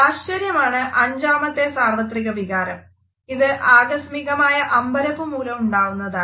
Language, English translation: Malayalam, The fifth universal emotion is that of surprise, which is a sudden feeling of astonishment